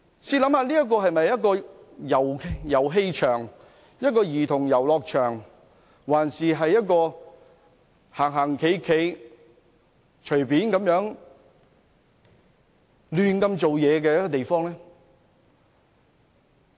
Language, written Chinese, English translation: Cantonese, 試想想這是否一個遊戲場、兒童遊樂場，或一個可以隨意走動、任意妄為的地方呢？, Just think about whether this is a play area a childrens playground or a place where people can walk around freely doing whatever they please?